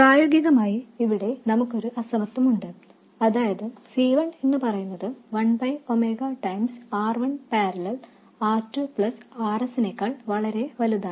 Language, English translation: Malayalam, In practice what is done is we have an inequality that is C1 much greater than 1 by omega times R1 parallel R2 plus RS